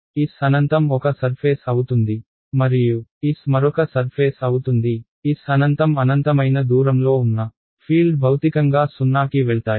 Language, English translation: Telugu, S infinity is one surface and S is the other surface, S infinity being infinitely far away fields are physically they will go to 0